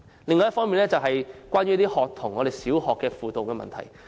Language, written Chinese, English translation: Cantonese, 另一個我想討論的問題是小學學童輔導。, Another issue I wish to discuss is guidance services for primary school students